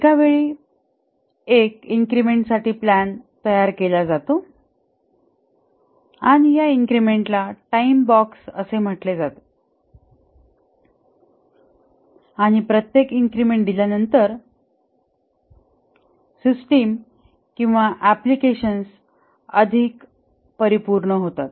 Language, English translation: Marathi, The plans are made for one increment at a time and this increment is called as a time box and after each increment is delivered the system or the application becomes more complete